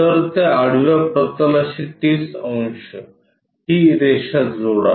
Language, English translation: Marathi, So, 30 degrees to that horizontal plane, connect this line